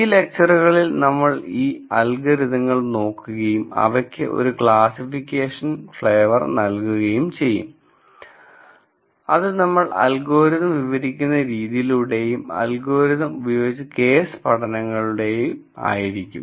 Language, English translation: Malayalam, None the less in this series of lectures we will look at these algorithms and then give them a classification flavour and that would come through both the way we de scribe the algorithm and also the case studies that are used with the algorithms